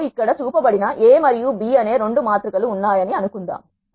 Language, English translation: Telugu, Let us suppose we have two matrices A and B which are shown here